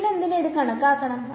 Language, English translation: Malayalam, So, why try to calculate